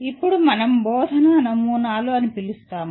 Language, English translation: Telugu, Now there are what we call models of teaching